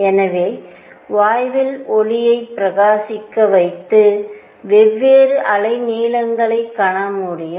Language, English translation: Tamil, So, what one would do is shine light on gas and see different wavelengths